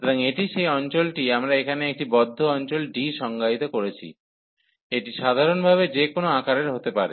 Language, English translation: Bengali, So, this is the region here we have define a closed region D, it can be of any shape in general